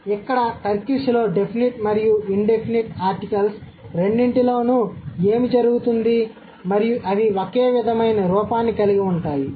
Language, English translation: Telugu, So, here in Turkish what happens, both the indefinite and the indefinite article and the numeral one, they have the similar form, right